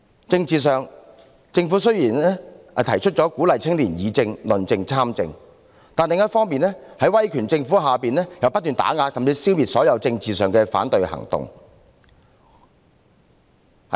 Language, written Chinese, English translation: Cantonese, 政治上，政府雖然提出了鼓勵青年議政、論政及參政，但另一方面，在威權政府下卻不斷打壓甚至消滅所有政治上的反對行動。, Politically on the one hand the Government proposed encouraging young people to participate in politics as well as public policy discussion and debate; but on the other the authoritarian Government keeps suppressing and even eliminating all opposition activities in politics